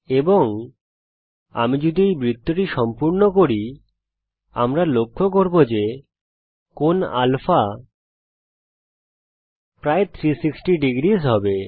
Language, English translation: Bengali, And if I complete this circle we notice that the angle of α will be almost 360 degrees